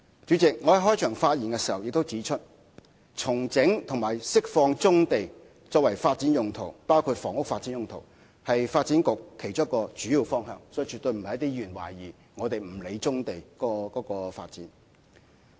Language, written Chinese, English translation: Cantonese, 主席，我在開場發言中已指出，重整和釋放棕地作發展用途，包括房屋發展用途，是發展局其中一個主要方向，而絕對不是有些議員所懷疑的，以為我們不理棕地的發展。, President I have said in my opening speech that one of the main directions of work of the Development Bureau is to rationalize and release brownfield sites for development including housing development . We will not as suspected by some Members disregard the development of brownfield sites